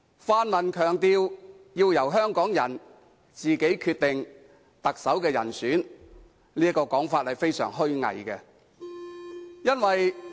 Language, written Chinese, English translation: Cantonese, 泛民強調要由香港人自己決定特首人選，這種說法是極為虛偽的。, The pan - democrats have emphasized that Hong Kong people should decide who should be the Chief Executive - elect; this saying is extremely hypocritical